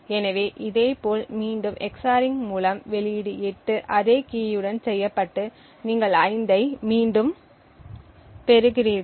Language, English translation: Tamil, So, a similarly by EX ORING again the output 8 with that same key you re obtain 5